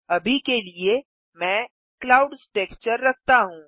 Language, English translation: Hindi, For now I am keeping the Clouds texture